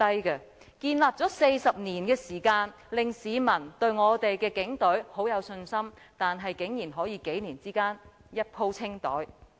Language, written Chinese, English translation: Cantonese, 警隊民望建立了40年，讓市民對我們的警隊很有信心，但竟然可以在數年間"一鋪清袋"。, The public support towards the Police Force has been built up for 40 years so the public have much confidence in the Police Force . However to our surprise all these have been erased in one go within a few years time